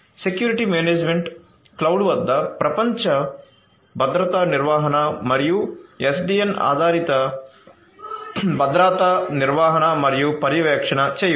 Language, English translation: Telugu, Security management holistically global security handling at the cloud and SDN based security management and monitoring